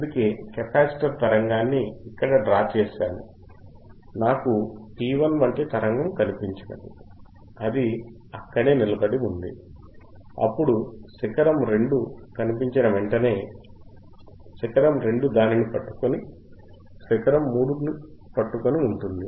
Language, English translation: Telugu, tThat is why, if I just draw the capacitor signal, then what I look at it I look at the signal like P 1 then it, it is holding it, then as soon as peak 2 appears peak 2 holding it, peak 3 holding it